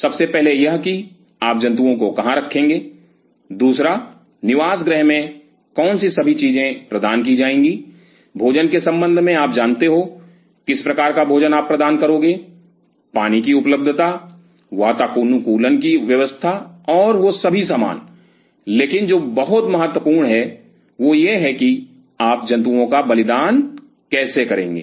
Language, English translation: Hindi, One where you will be housing the animal, two in the housing what all things will be providing in terms of you know food the kind of food you will be supplying, the water supplies the air conditioning and all those paraphernalia, but what is very critical is that how you are going to sacrifice the animal